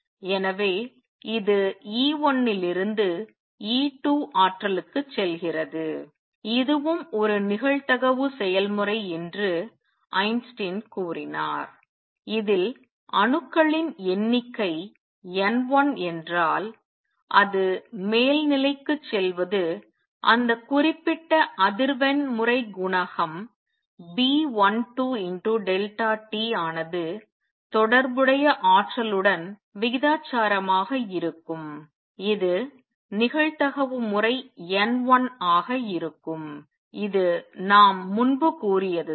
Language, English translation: Tamil, So, it goes from E 1 to E 2 energy, for this also Einstein said that this is a probabilistic process in which the number of atoms, if that is N 1 going to upper state would be proportional to the energy corresponding to that particular frequency times the coefficient B 12 delta t this will be the probability times N 1 it is exactly what we said earlier